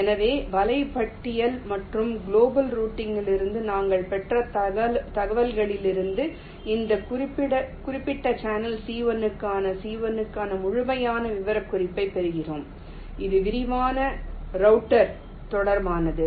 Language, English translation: Tamil, so from this sequence of net list and the information we have obtained from global routing, we obtain the complete specification for c one, for this particular channel, c one, and this is with respect to detailed router